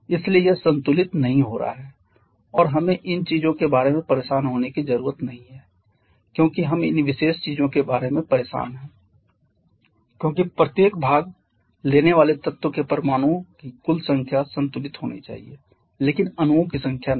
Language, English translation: Hindi, 76 so that is not getting balanced and we do not need to bother about also we just bother about these particular things as the total number of atoms of each participating element has to be balanced but not the number of molecules